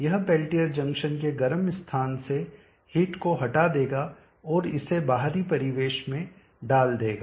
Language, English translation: Hindi, It will remove the heat from the hot site of the peltier junction and put it out into the external ambient